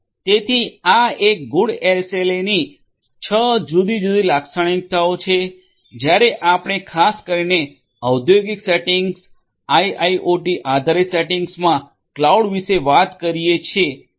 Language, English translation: Gujarati, So, these are the six different characteristics of a good SLA when we are talking about cloud particularly in an industrial setting IIoT based setting